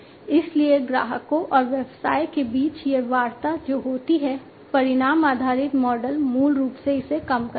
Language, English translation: Hindi, So, between the customers and the business this the negotiations that happen, you know, the outcome based model basically reduces it